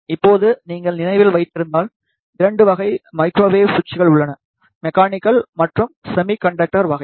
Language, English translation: Tamil, Now, if you remember there are 2 type of microwave switches; mechanical and semiconductor type